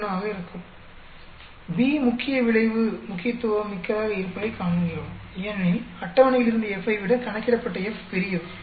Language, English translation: Tamil, 71 when you do that, we see that the main effect B is significant, because F calculated is larger than the F from the table